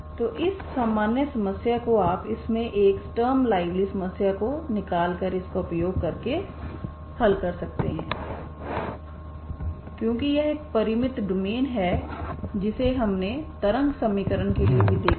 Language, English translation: Hindi, So this general problem you can solve it by using the by extracting a Sturm liouville problem out of it because it is a finite domain that is what we have seen for the wave equation also, okay